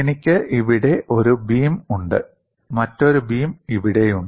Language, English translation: Malayalam, I have one beam here, another beam here